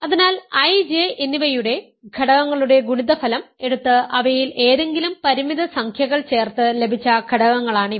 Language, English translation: Malayalam, So, these are elements which are obtained by taking products of elements of I and J adding any finite number of them ok